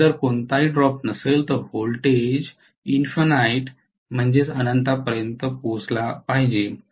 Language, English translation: Marathi, If there is no drop, the voltage should have reach to an infinity, obviously